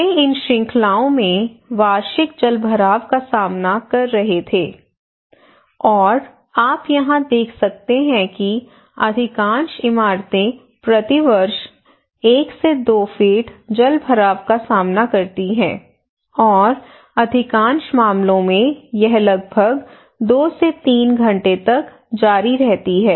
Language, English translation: Hindi, In waterlogging, they were facing annual waterlogging in these series, and you can see here that most of the building most of the houses they face this one to two feet waterlogging annually and it continues for around two to three hours most of the cases okay, some are less some are more like that